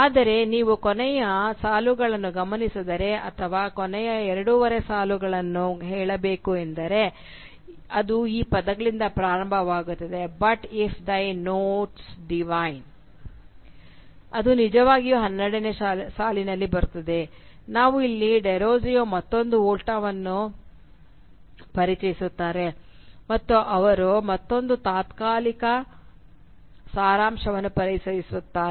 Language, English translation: Kannada, But if you note the last two lines or rather I should say the last two and a half lines because it starts from these words “but if thy notes divine” which actually occurs in line number twelve, we will see that here Derozio introduces another Volta and he introduces another temporal schema